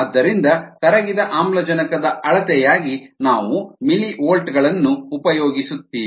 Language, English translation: Kannada, so the dissolved oxygen concentration is directly proportional to the millivolts value